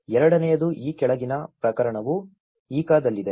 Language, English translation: Kannada, The second, the following case is also in Ica